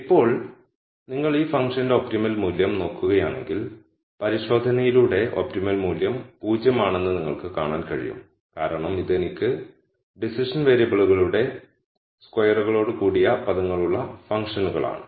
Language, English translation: Malayalam, Now, if you look at the optimum value for this function and just by inspec tion you can see that the optimum value is 0 because this are functions where I have terms which are squares of the decision variables